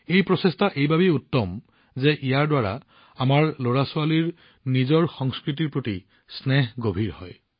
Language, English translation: Assamese, This effort is very good, also since it deepens our children's attachment to their culture